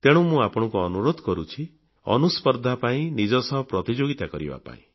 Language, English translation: Odia, Therefore I urge you to engage in 'Anuspardha', or 'competition with self'